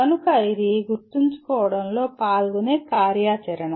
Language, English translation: Telugu, So that is the activity that is involved in remembering